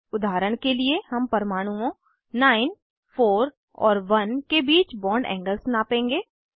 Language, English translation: Hindi, For example we will measure the bond angle between atoms 9, 4 and 1